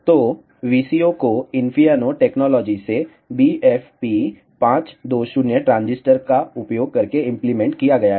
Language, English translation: Hindi, So, the VCO is implemented using BFP 520 transistors from Infineon technologies